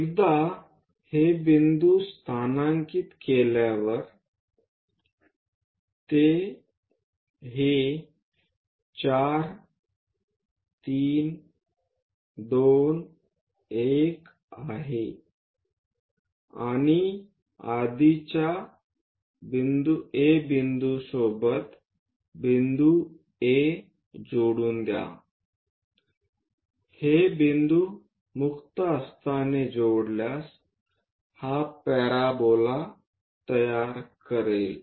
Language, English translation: Marathi, Once these points are located those are this 4 3 2 1 and D already A point is there join, these points by freehand one will be constructing this parabola